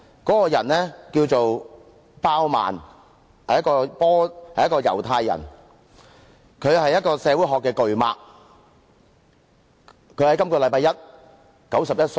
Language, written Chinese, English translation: Cantonese, 這人名叫鮑曼，是猶太人，他是社會學的巨擘。他在本周一離世，享年91歲。, This person is called Zygmunt BAUMAN a Jewish big name in sociology who passed away at the age of 91 on Monday this week